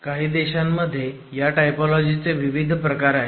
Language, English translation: Marathi, And several countries actually have variants of this typology